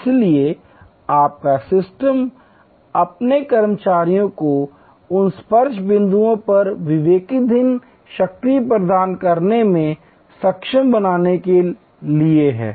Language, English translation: Hindi, So, your system is to empower your employees to be able to have discretionary power at those touch points